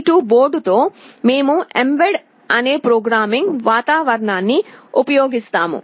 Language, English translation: Telugu, With the STM32 board, we will be using a programming environment called mbed